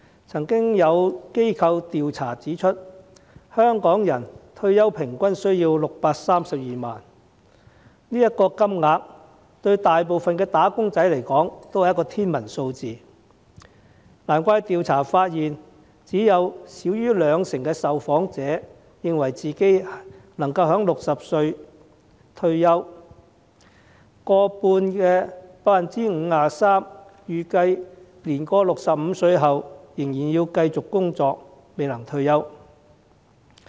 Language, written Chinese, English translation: Cantonese, 曾有機構的調查指出，香港人退休平均需要632萬元，這個金額對大部分"打工仔"而言也是天文數字，難怪調查發現只有少於兩成的受訪者認為自己能夠在60歲退休，而逾半的受訪者預計年過65歲仍然要繼續工作，未能退休。, As pointed out in the survey of an organization people in Hong Kong will need 6.32 million on average to support their retirement life which is an astronomical sum to most of the wage earners . No wonder the survey findings indicate that only 20 % of the respondents consider they can retire at the age of 60 and more than half 53 % of the respondents foresee that they will have to continue working after the age of 65